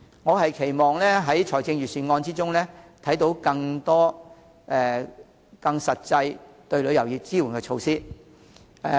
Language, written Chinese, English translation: Cantonese, 我期望在財政預算案中看到更多更實際支援旅遊業的措施。, I expect to see more measures that are more practical to support the tourism industry in the Budget